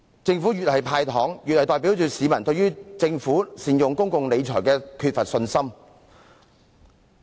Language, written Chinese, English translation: Cantonese, 政府越是"派糖"，便越代表市民對政府的公共理財缺乏信心。, The more candies the Government gives away the more it stands for the lack of public confidence in the Governments public finance management